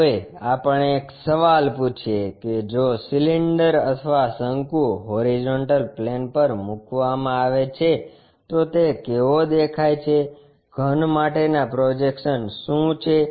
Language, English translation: Gujarati, Now, let us ask a question if a cylinder or cone is placed on horizontal plane, how it looks like, what are the projections for the solid